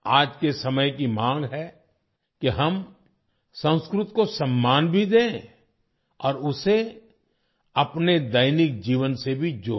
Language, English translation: Hindi, The demand of today’s times is that we should respect Sanskrit and also connect it with our daily life